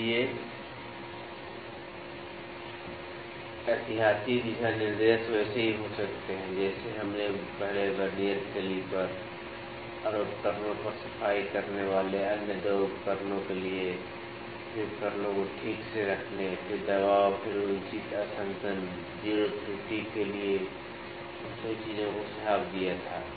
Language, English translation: Hindi, So, the precaution the guidelines could be similar as we had before for the Vernier calliper and for the other instruments cleaning over the instruments, then placing instruments properly, then pressure, then proper calibration, 0 error all those things have to be suggested